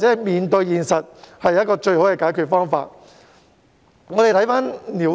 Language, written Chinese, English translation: Cantonese, 面對現實便是最佳解決方法。, Well facing the reality is the best solution